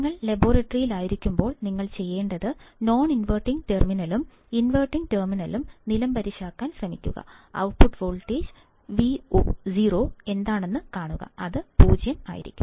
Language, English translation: Malayalam, So, what you would should do when you are in the laboratory is, try to ground the non inverting terminal and the inverting terminal, and see what is the output voltage Vo, and ideally it should be 0